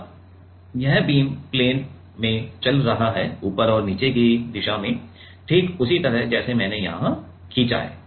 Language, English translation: Hindi, Now, this beam is moving in like in the plane right in top and bottom direction like this as I am I have drawn here